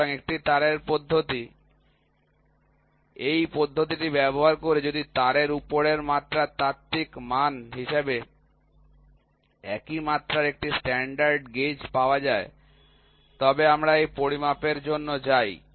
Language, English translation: Bengali, So, one wire method; this method is used if a standard gauges of the same dimension as a theoretical value of the dimension over wire is available, then we go for this measurement